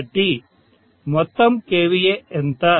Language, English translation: Telugu, So output kVA is 2